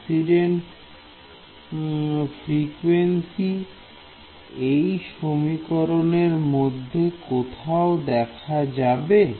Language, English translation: Bengali, So, the incident frequency is appearing somewhere in this equation all right